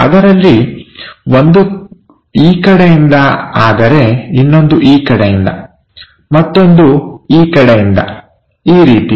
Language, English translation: Kannada, One of them is in this direction; the other one is from this direction; the other one is from this direction